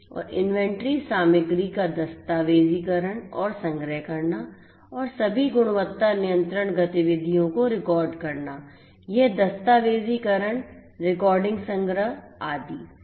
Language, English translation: Hindi, And documenting and archiving inventory material and recording all the quality control activities, this documentation recording archiving and so on